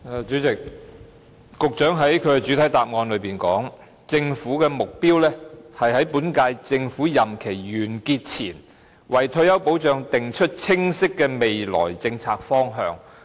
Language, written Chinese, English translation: Cantonese, 主席，局長在主體答覆中說，"政府的目標是在本屆政府任期完結前，為退休保障訂出清晰的未來政策方向。, President the Secretary said in the main reply The Government aims to set a clear future policy direction on retirement protection within this term of the Government